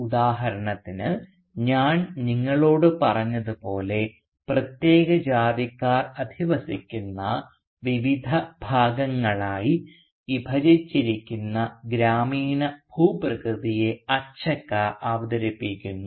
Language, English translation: Malayalam, So for instance, as I told you, that Achakka introduces the village landscape as divided into various quarters inhabited by specific castes